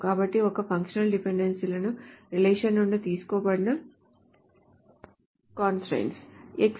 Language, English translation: Telugu, So a functional dependency are constraints that can be derived from the relation itself